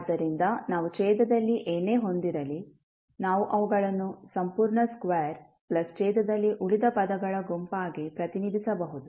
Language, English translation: Kannada, So, whatever we have in the denominator, we can represent them as set of complete square plus remainder of the term which are there in the denominator